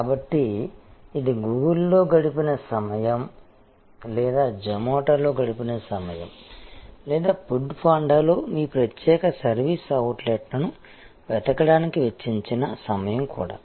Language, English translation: Telugu, So, this is also the time spent on Google or the time spent on Zomato or the spent on food Panda to search out your particular service outlet is the search cost